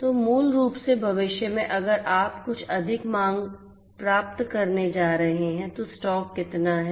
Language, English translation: Hindi, So, basically you know if in the future if you are going to get some more demands than what how much is the stock